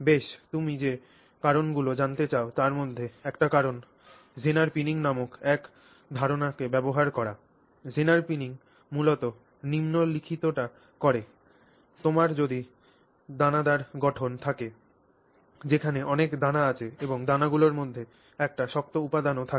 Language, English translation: Bengali, One of the reasons why you may want to do it is to make use of this concept called Xener pinning, which basically does the following that if you have a grain structure where you have a lot of grains and then in between the grains you also have one hard material